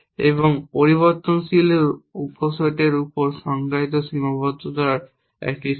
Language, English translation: Bengali, And a set of constraint defined over subsets of variable